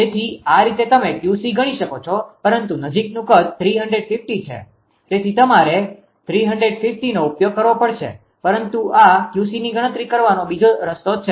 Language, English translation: Gujarati, So, this is the way that you can calculate Q c, but nearest site is 350 so that is why 350 you have use, but this is another way of computing Q c